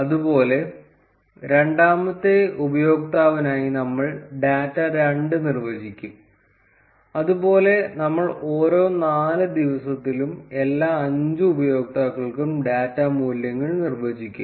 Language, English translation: Malayalam, Similarly, we will define data 2 for the second user; similarly, we will define the data values for all the 5 users for each of the four days